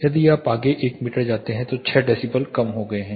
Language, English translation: Hindi, So, 6 decibels have reduced if you go further 1 meter